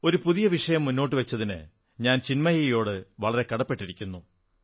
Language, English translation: Malayalam, I am extremely thankful to young Chinmayee for touching upon this subject